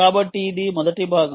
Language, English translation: Telugu, so this is first part